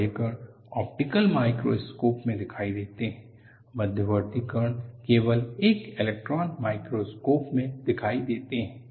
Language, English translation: Hindi, The large particles are visible in optical microscope, the intermediate particles are visible only in an electron microscope